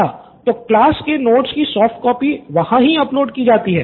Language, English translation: Hindi, So soft copy of these class notes are uploaded there